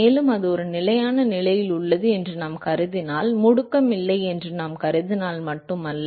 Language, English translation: Tamil, And if we also assume that it is at a steady state, not just that if we assume that there is no acceleration